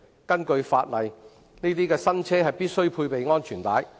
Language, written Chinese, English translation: Cantonese, 根據法例，該等新車必須配備安全帶。, Under the law such new vehicles must be equipped with seat belts